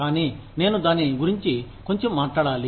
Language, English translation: Telugu, But, I think, we should talk about it, a little bit